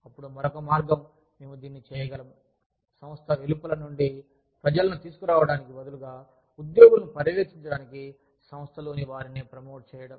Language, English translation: Telugu, Then, the other way, we can do it is, promoting from within, instead of getting people from outside the organization, to supervise the employees